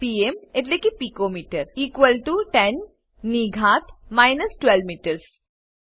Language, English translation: Gujarati, pm is pico metre= 10 to the power of minus 12 metres